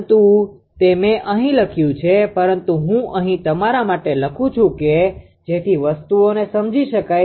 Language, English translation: Gujarati, But that is I have written here, but I am writing here for you write such that things will be understandable